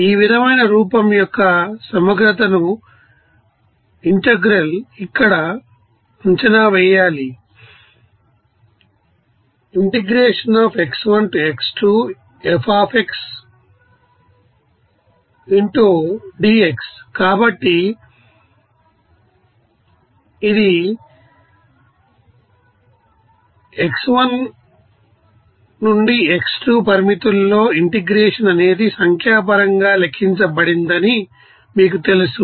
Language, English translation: Telugu, So, we can see that this how this you know, integration within limits of x1 to x2 can be you know numerically calculated